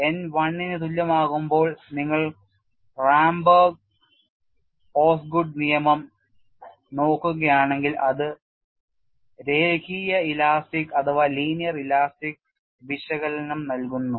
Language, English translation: Malayalam, So, I n is approximately equal to phi when n equal to 1 and when n equal to 1, if we look at the Ramberg Osgood law it gives a linear elastic analysis